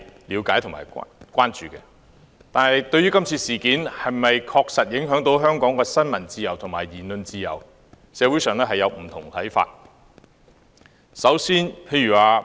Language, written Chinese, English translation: Cantonese, 然而，對於今次事件是否確實影響香港的新聞自由和言論自由，社會上有不同看法。, That said the community has diverse views on whether the incident has indeed impacted on freedom of the press and freedom of speech in Hong Kong